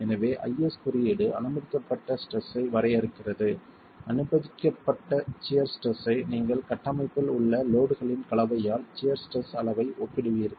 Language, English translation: Tamil, So, IS code defines the permissible stress, the permissible shear stress which you will then compare with the level of shear stress due to the combination of loads in the structure itself